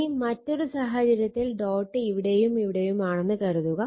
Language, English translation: Malayalam, Similarly if you put the dot is here and dot is here